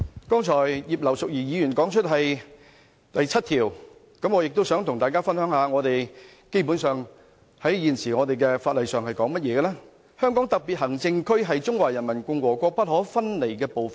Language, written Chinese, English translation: Cantonese, 剛才葉劉淑儀議員提到《基本法》第七條，我也想跟大家分享現時在法例上，基本上是怎樣說：香港特別行政區是中華人民共和國不可分離的部分。, Mrs Regina IP has just referred to Article 7 of the Basic Law and I would also like to share with Members what is stipulated in the law at present The Hong Kong Special Administrative Region is an inalienable part of the Peoples Republic of China